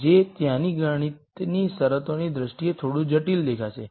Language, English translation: Gujarati, Which will look a little complicated in terms of all the math that is there